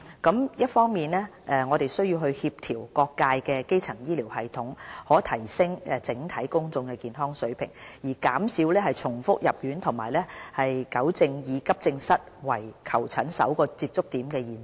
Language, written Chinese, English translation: Cantonese, 我們一方面需要協調各界的基層醫療系統，以提升整體公眾健康的水平，減少重複入院和糾正以急症室為求診首個接觸點的現象。, On the one hand we will need to coordinate primary health care systems of various sectors to enhance overall public health reduce hospital readmission and rectify the situation where accident and emergency AE service is regarded as the first point of contact in seeking medical consultation